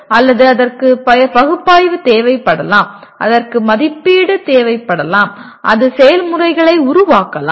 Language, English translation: Tamil, Or it may require analysis, it may require evaluate and it may and create processes